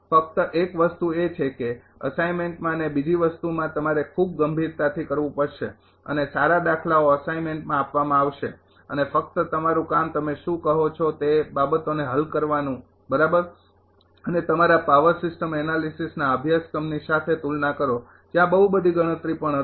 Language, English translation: Gujarati, Only thing is that in the assignment another thing you have to do very seriously and ah good good problems will be given in the assignment and just your job will be to your what you call to solve those things right and ah compare to the your past system analysis course where also heavy competition was there